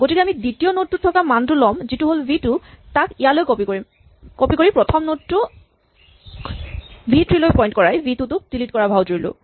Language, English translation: Assamese, So, instead we take the value in the second node which was v 2, copy it here and then pretend we deleted v 2 by making the first node point to the third